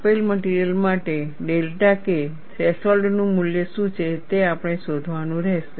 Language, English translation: Gujarati, We will have to find out what is the value of delta K threshold, for a given material